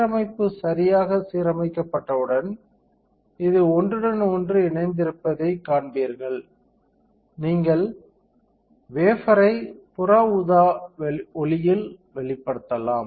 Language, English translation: Tamil, So, alignment once it is aligned correctly, then you will see that this is overlapping, you can expose the wafer to UV light